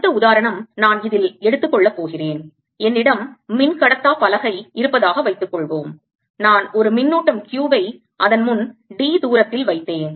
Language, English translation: Tamil, next example i am going to take in this is going to be: suppose i have a dielectric slab and i put a charge q in front of it at a distance d